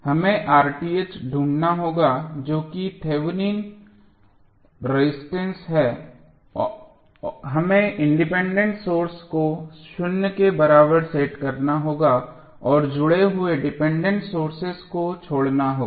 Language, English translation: Hindi, We have to find R Th that is Thevenin resistance we have to set the independent sources equal to zero and leave the dependent sources connected